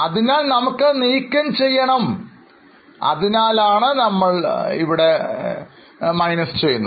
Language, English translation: Malayalam, So, we need to remove it, that's why we deduct it